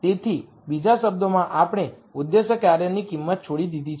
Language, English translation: Gujarati, So, in other words we have given up on the value of the objective function